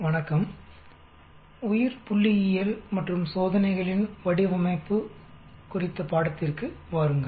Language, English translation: Tamil, Hello, come to the course on Biostatistics and Design of Experiments